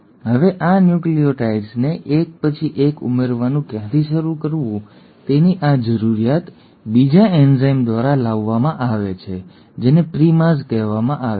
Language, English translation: Gujarati, Now this requirement of where to start adding these nucleotides one at a time, is brought about by another enzyme which is called as the primase